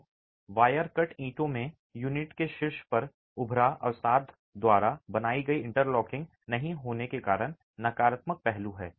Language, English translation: Hindi, So, wire cut bricks have the downside of not having the interlocking created by the embossed depression at the top of the unit itself